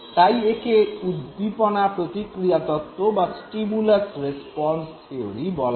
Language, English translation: Bengali, And therefore it is also known as stimulus response theory